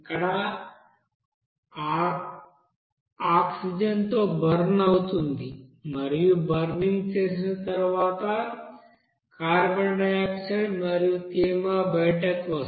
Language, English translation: Telugu, That will you know be burned with that oxygen here and after burning you will see that the carbon dioxide and moisture will be you know coming out